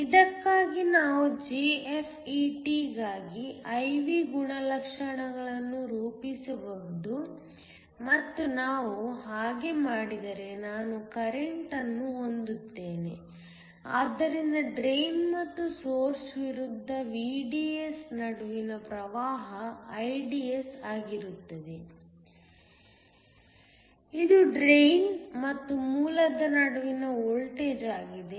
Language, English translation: Kannada, We can plot an I V characteristics for this a JFET and if we do that I have current, so IDS which is the current between the drain and source versus VDS, which is again the voltage between the drain and source